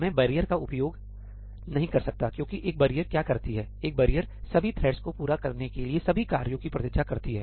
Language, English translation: Hindi, I cannot use barrier because what does a barrier do a barrier waits for all the tasks across all the threads to complete